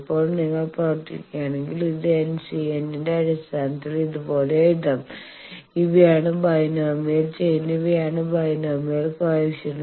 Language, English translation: Malayalam, Now, if you just work out this can be written like this in terms of N C m and these are the binomial chain these are the binomial coefficient